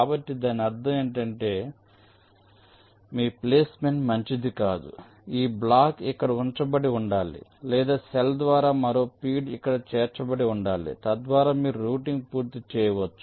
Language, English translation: Telugu, so what it means is that means either your placement is not good this block should have been placed here or means one more feed through cell should have been included here so that you can completes routing